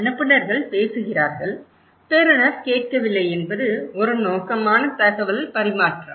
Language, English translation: Tamil, It’s not that senders is talking and receiver is not listening it is a purposeful exchange of information